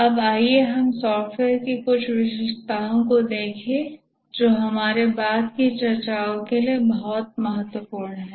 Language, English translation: Hindi, Now let's look at some characteristics of software that are very important to our subsequent discussions